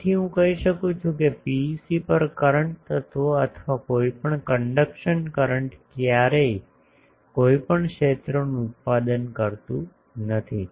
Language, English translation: Gujarati, So, I can say that current element on or the any conduction current on a PEC does not produce anywhere any field